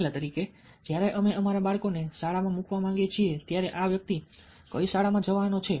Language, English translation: Gujarati, for instance, ah, when we want to put our children to school, which school this person is going to go into